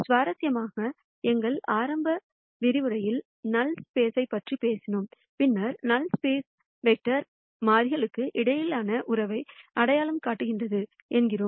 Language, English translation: Tamil, Interestingly, in our initial lectures, we talked about null space and then we said the null space vector identi es a relationship between variables